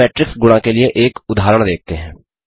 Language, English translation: Hindi, Now let us see an example for matrix multiplication